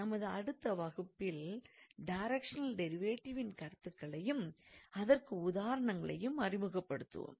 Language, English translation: Tamil, And in the next class, we will start with some examples on directional derivative; we will introduce the concepts of directional derivative